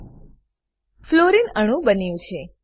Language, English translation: Gujarati, Fluorine molecule is formed